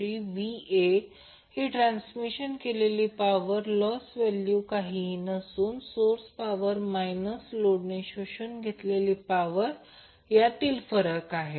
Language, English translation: Marathi, So this will be the amount of power lost in the transmission which will be nothing but the difference between the source power minus the power absorbed by the load